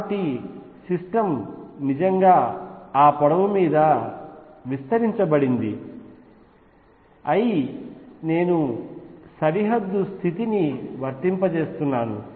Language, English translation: Telugu, So, system really is extended over that length l over which I am applying the boundary condition